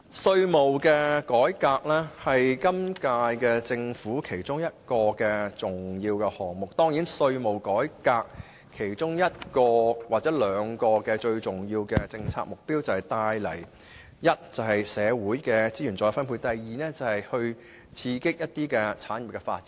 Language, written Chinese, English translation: Cantonese, 稅務改革是今屆政府其中一個重要項目，稅務改革其中兩個最重要的政策目標是：第一，促成社會資源再分配；第二，刺激一些產業的發展。, Tax reform is one of the important tasks of the current - term Government . Two of the most important policy objectives of tax reform are first to facilitate the reallocation of social resources; second to stimulate the development of certain industries